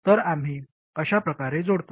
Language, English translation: Marathi, So we connect it up like that